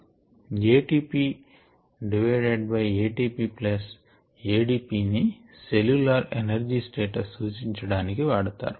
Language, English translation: Telugu, but let us just look at these two: a t p divided by a t p plus a d p, is taken to indicate the cellular energy status